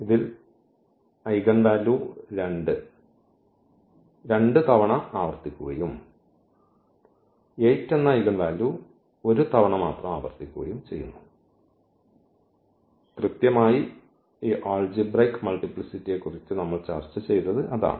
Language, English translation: Malayalam, So, this eigenvalue 2 is repeated 2 times and this 8 is repeated 1 times, and exactly that is what we have discussed about this algebraic multiplicity